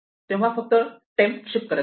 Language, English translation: Marathi, So, just keep shifting temp